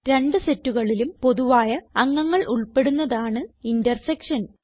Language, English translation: Malayalam, The intersection includes only the common elements from both the sets